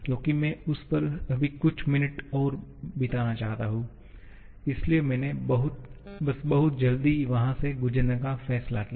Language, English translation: Hindi, Because I want to spend just a couple of minutes more on that now and therefore I just decided to go through very quickly there